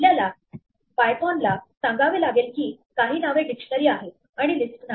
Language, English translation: Marathi, We have to tell python that some name is a dictionary and it is not a list